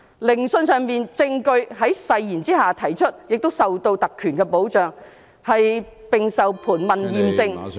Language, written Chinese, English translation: Cantonese, 聆訊上的證據在誓言下提出，受特權保障，並受盤問驗證。, Evidence is given under oath covered by privilege and tested by cross - examination